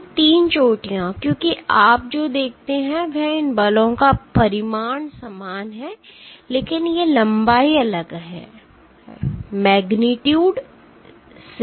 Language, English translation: Hindi, So, 3 peaks, because what you see is the magnitude of these forces are the same, but these lengths are different